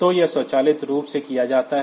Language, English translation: Hindi, So, that is done automatically